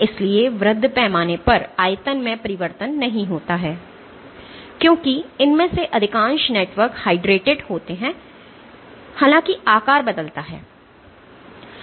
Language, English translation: Hindi, So, at the macro scale the volume does not change, because most of these networks are hydrated; however, the shape does change